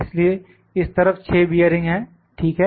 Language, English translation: Hindi, So, there are 6 bearings on this side, ok